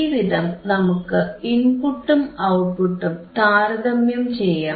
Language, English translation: Malayalam, So, we can compare the input and output both